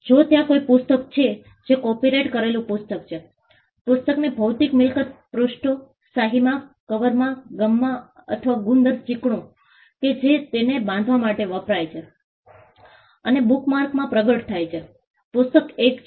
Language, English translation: Gujarati, If there is a book which is copyrighted book, the physical property in the book as I said manifests in the pages, in the ink, in the cover, in the gum or the glue adhesive that is used to bind it and in the bookmark of the book has one